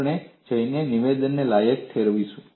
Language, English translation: Gujarati, We would go and qualify the statement